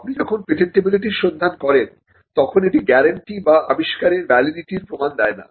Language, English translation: Bengali, When you do a patentability search, when you do a search, it does not guarantee or it does not warrant the validity of an invention